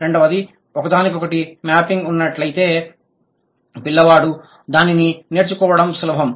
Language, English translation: Telugu, Second, if there is a one to one mapping, it's easier for the child to pick it up